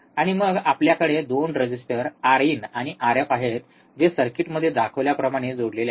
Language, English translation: Marathi, And then we have 2 resistors R in and R f connected in the same way shown in circuit